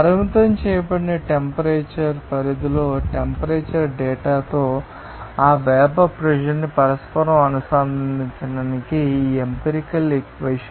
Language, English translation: Telugu, This is an empirical equation for correlating that vapor pressure with the temperature data over a restricted temperature range